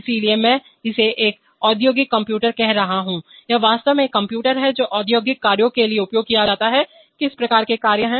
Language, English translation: Hindi, So I am calling it an industrial computer it is actually a computer which is used for industrial functions, what kind of functions